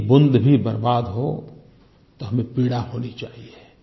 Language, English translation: Hindi, Even if a drop of water is wasted, then we should feel remorse and pain